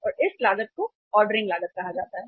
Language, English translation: Hindi, And this cost is called as the ordering cost